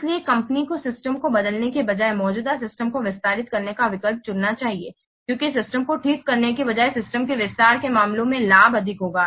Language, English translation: Hindi, So, the company should choose the option of extending the existing system rather than replacing the system because the benefit will be more in case of extending system rather than replacing the system